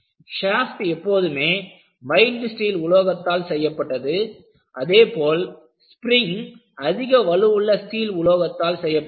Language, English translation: Tamil, Shafts are made of only mild steel and when you have a spring, it is always made of high strength steel